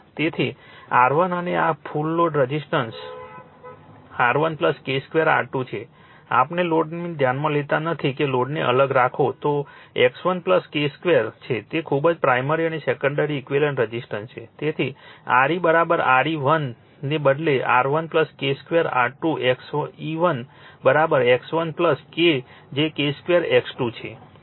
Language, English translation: Gujarati, So, R 1 and this is the total resistance R 1 plus K square R 2 the total resistance load we are not considering the load keep it separate then X 1 plus K square is very primary and secondary equivalent resistance, right, so Re is equal to Re 1 rather is equal to R 1 plus K square R 2 Xe 1 is equal to X 1 plus K of K square X 2, right